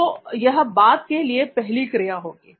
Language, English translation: Hindi, Which would be 1 for the after